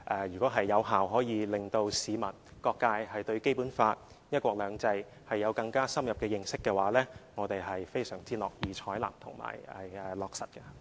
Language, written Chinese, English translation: Cantonese, 如果可以有效地令市民和各界對《基本法》及"一國兩制"有更深入認識，我們是非常樂意採納和落實的。, We will be more than happy to take on board and implement proposals which can enable the public and various sectors of the community to have more in - depth understanding of the Basic Law and one country two systems